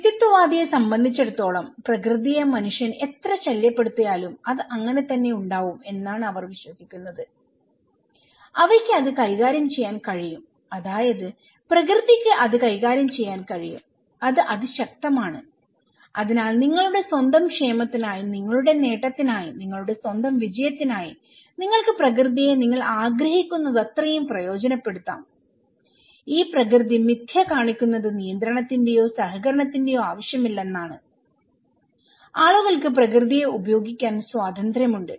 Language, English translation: Malayalam, For the individualist, they believe that nature is like no matter how much human disturb it, it will; they can handle it, nature can handle it, it is super powerful, so for your own well being, for your own achievement for your own success, you can utilize the nature as much as you wish and okay, this myth of nature shows that there is no need for control or cooperations, people are free to use the nature